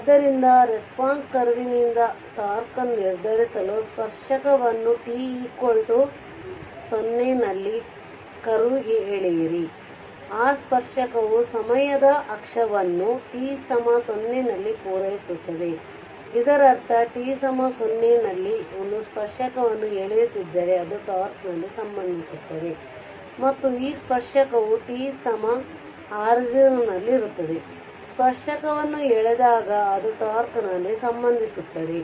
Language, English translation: Kannada, So, for determining tau from the response curve, draw the tangent to the curve at t is equal to 0; that tangent meets the time axis at t is equal to tau; that means, that t is equal to 0 at t is equal to 0 if you draw a tangent it will meet here at tau right here it will meet at tau right